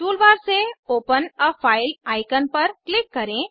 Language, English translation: Hindi, Click on Open a file icon from the toolbar